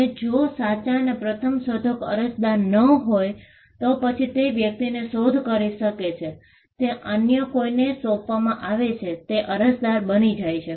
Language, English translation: Gujarati, In case the true and first inventor is not the applicant, then the person to whom the invention is assigned becomes the applicant